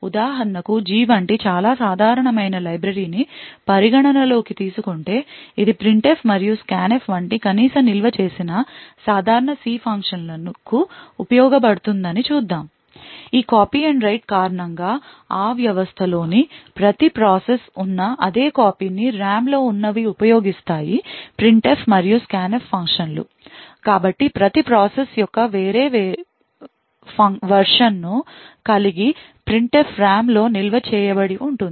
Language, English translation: Telugu, So for example, if you consider let us say a very common library like the G let us see which is used to at least stored common C functions such as printf and scanf because of this copy and write which is used the most systems, each and every process in that system would use the same copy of the printf and scanf functions which are present in RAM, so it would not do the case that each process would have a different version of the printf stored in RAM